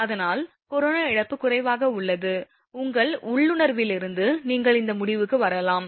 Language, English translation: Tamil, So, hence the corona loss is less, it is from your intuition you can come to this conclusion